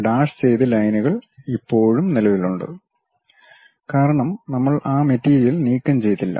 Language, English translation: Malayalam, And dashed lines still present; because we did not remove that material